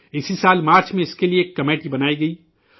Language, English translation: Urdu, This very year in March, a committee was formed for this